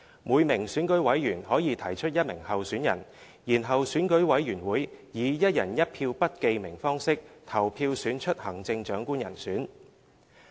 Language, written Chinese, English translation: Cantonese, 每名選舉委員可提出一名候選人，然後選舉委員會以"一人一票"不記名方式投票選出行政長官人選。, Each EC member may nominate only one candidate and EC shall elect the Chief Executive designate by secret ballot on the basis of one person one vote